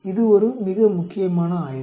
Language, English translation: Tamil, It is a very important study